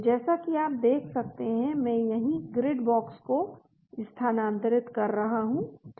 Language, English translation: Hindi, So as you can see I am moving the grid box here right,